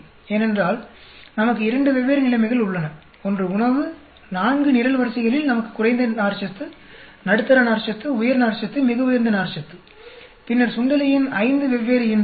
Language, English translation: Tamil, Because we have two different situations one is food, four columns we have low fiber, medium fiber, high fiber, very high fiber; and then five different litters of mouse